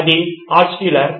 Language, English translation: Telugu, Is this Altshuller